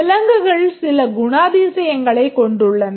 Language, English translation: Tamil, Animals we know they have some characteristics